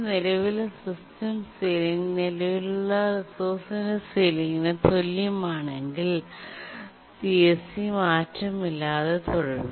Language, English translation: Malayalam, But if the ceiling value of the current resource is less than CSE, then CSEC remains unchanged